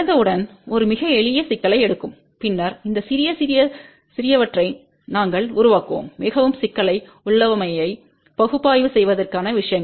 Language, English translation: Tamil, To start with will take a very simple problem and then we will built up on these small small little little things to analyze a more complicated configuration